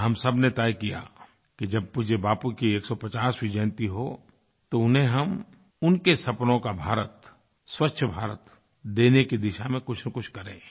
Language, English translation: Hindi, And, all of us took a resolve that on the 150th birth anniversary of revered Bapu, we shall make some contribution in the direction of making Clean India which he had dreamt of